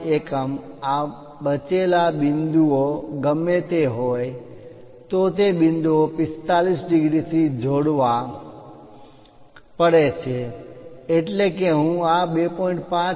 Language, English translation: Gujarati, 5, whatever these leftover points, those points has to be connected by 45 degrees that means, once I identify this 2